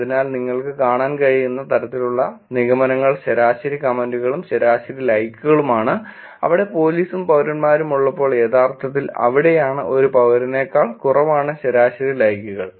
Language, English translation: Malayalam, So the kind of conclusions you can see is average number of comments and average number of likes when police and citizens are there is actually lower than only a citizens being there